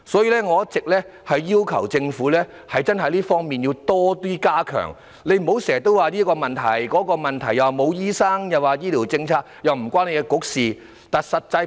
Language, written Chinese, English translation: Cantonese, 因此，我一直要求政府加強這方面的服務，局長不要諸多藉口，例如推諉醫生不足，或醫療政策與其管轄的政策局無關。, For this reason I have all along requested the Government to enhance the services in this aspect . The Secretary should stop citing such excuses as there are not enough doctors or the health care policy has nothing to do with the Policy Bureau under his supervision